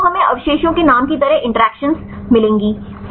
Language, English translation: Hindi, So, we will get the get the interactions like the residue name